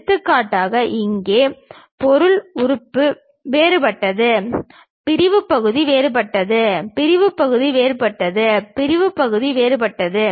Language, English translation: Tamil, For example, here the material element is different, the sectional area is different; the sectional area is different, the sectional area is different